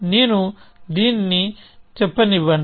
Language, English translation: Telugu, So, let me say this